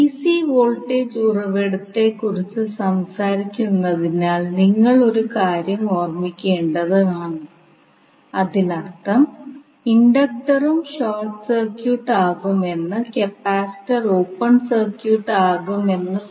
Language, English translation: Malayalam, Now you have to keep in mind since we are talking about the DC voltage source it means that inductor will also be short circuited and capacitor will be open circuited